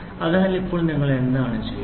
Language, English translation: Malayalam, So, now what you do